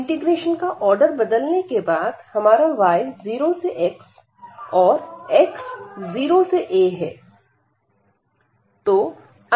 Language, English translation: Hindi, We have this after changing the order of integration, we have this y goes from 0 to x and x goes from 0 to a